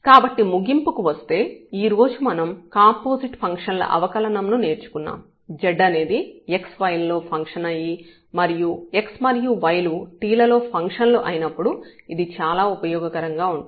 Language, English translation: Telugu, So, coming to the conclusion we have learn today the differentiation of composite functions which was very useful when z is a given function of x y and x is and y they are the function of t